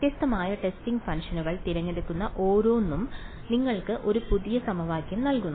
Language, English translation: Malayalam, Every choosing a different testing function gives you a new equation